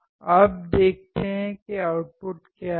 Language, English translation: Hindi, Now, let us see what the output is